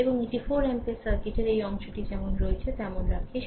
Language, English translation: Bengali, And this is 4 ampere this part of the circuit keeps it as it is right